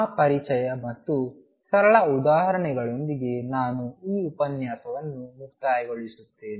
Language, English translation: Kannada, With that introduction and simple example I conclude this lecture by stating that number 1